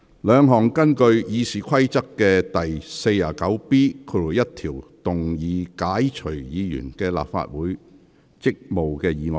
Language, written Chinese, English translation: Cantonese, 兩項根據《議事規則》第 49B1 條動議解除議員的立法會議員職務的議案。, Two motions under Rule 49B1 of the Rules of Procedure to relieve Members of their duties as Members of the Legislative Council